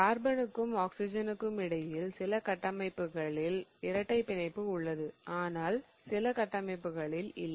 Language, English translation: Tamil, Between carbon and oxygen you have a double bond in some of the structures again and not in some of the structure